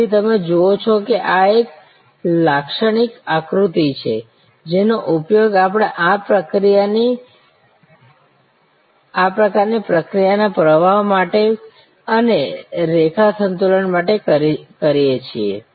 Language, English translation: Gujarati, So, you see this is a typical diagram, which we use for this kind of process flow and for line balancing